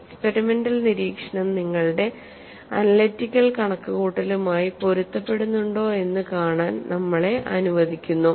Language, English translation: Malayalam, Let us see whether our experimental observation matches with our analytical computation